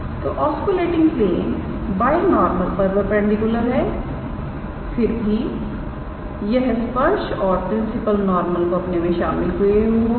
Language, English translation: Hindi, So, oscillating plane is perpendicular to binormal; however, it will contain the tangent and the principle normal